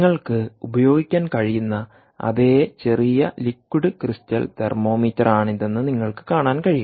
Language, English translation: Malayalam, you can see that this is that little same liquid crystal thermometer that you can use normally for neonatals, a newborn babies